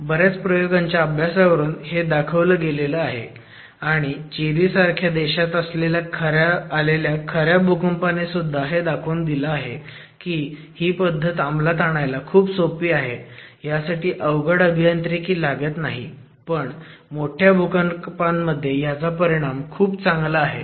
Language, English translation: Marathi, And it's demonstrated by several experimental studies and even actual earthquakes including large earthquakes in in countries like Chile that this is a typology that is significantly simple to execute you don't need heavy engineering input but gives extremely good performance in large earthquakes